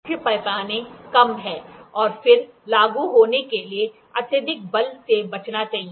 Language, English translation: Hindi, The main scale is lower and then one should avoid excessive force to be applied